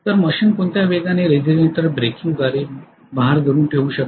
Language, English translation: Marathi, So at what speed the machine can hold the load by regenerator breaking